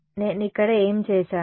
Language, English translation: Telugu, What did I do over here